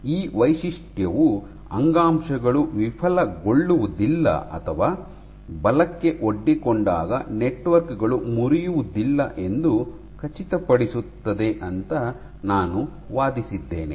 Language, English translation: Kannada, And I argued that this property ensures that tissues do not fail or networks do not fracture when exposed to forces